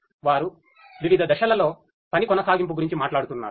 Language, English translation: Telugu, They are talking about workflow in different phases